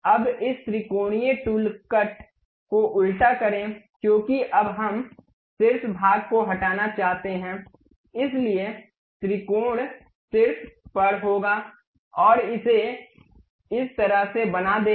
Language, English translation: Hindi, Now, reverse this triangular tool cut because now we want to remove the top portion, so the triangle will be on top side and make it in that way